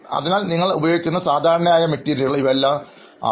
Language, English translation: Malayalam, So these are like the most common materials that you use